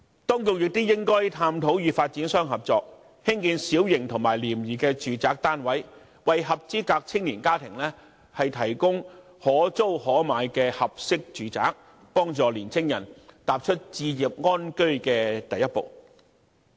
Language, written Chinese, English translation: Cantonese, 當局亦應該探討與發展商合作，興建小型和廉宜的住宅單位，為合資格的青年家庭提供可租可買的合適住宅，幫助年青人踏出置業安居的第一步。, The Administration should also explore cooperation with developers in building small and inexpensive residential units to provide suitable rent - or - buy flats for eligible young families thus helping young people take the first step in home ownership